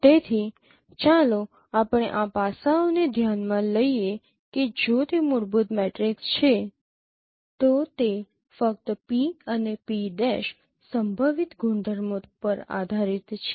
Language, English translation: Gujarati, So let us consider these aspects that if that is a fundamental matrix it only depends on the projective properties of p and pre prime